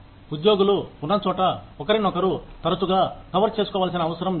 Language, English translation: Telugu, Where employees, do not need to cover for, one another, frequently